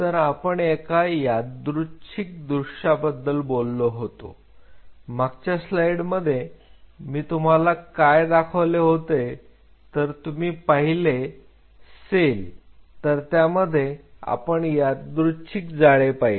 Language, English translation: Marathi, So, when we talk about a random scenario, what I showed you in the previous slide if you look at it is a very random network